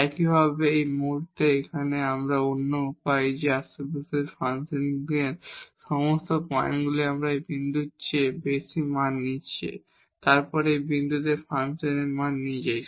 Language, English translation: Bengali, Similarly, at this point here, but this is other way around that all the points in the neighborhood function is taking more values than this point itself then the value of the function at this point itself